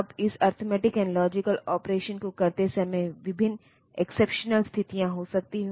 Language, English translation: Hindi, Now while doing this arithmetic logic operation, various exceptional situations can occur